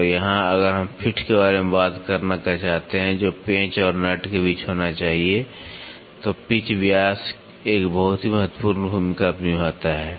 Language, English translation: Hindi, And, here if we want to talk about the fit, which has to happen between the screw and nut then pitch diameter plays a very very import role